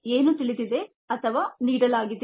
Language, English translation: Kannada, so what is known or given